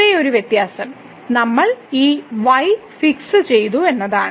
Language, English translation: Malayalam, The only difference is that because we have fixed this